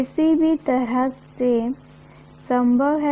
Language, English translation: Hindi, Either way is possible